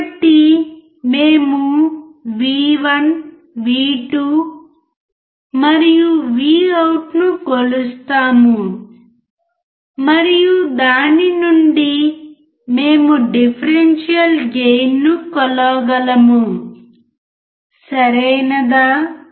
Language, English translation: Telugu, So, we will measure V1, V2 and Vout, and from that, we can measure the differential gain, alright